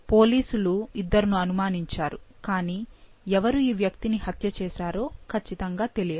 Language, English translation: Telugu, The police suspected two people, but it was not sure that which one of them killed this individual